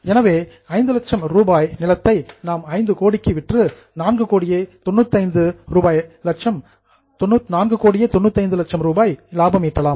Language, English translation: Tamil, So, 5 lakh rupees land if we sell in 5 crore, we will make a profit of 4